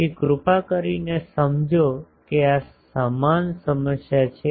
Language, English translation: Gujarati, So, please understand that this is the equivalent problem